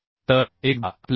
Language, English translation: Marathi, 25 so this will become 90